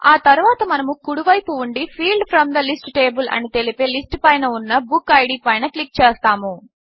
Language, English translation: Telugu, Next we will click on book id on the right side list that says Field from the list table